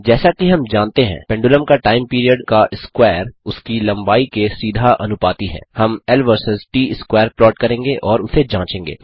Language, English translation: Hindi, As we know, the square of time period of a pendulum is directly proportional to its length, we shall plot l versus t square and verify this